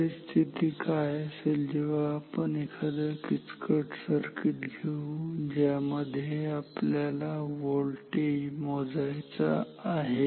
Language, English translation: Marathi, What will be the case if we use a complicated circuit, where we want to measure a voltage